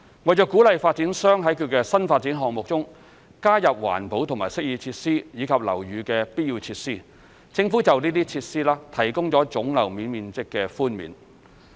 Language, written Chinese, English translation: Cantonese, 為鼓勵發展商在其新發展項目中加入環保及適意設施，以及樓宇的必要設施，政府就該些設施提供總樓面面積寬免。, The Government grants gross floor area GFA concessions to green and amenity features and essential features to encourage developers to provide the same in new development projects